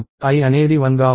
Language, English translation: Telugu, i is 1